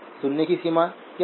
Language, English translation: Hindi, What is the auditory range